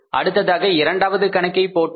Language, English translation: Tamil, Then we did the second problem